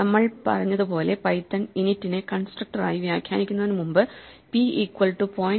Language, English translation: Malayalam, As we said before python interprets init as a constructor, so when we call a object like p equal to 0